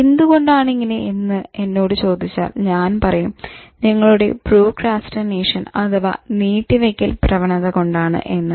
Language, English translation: Malayalam, Now, if you ask why, the answer is owing to your tendency to procrastinate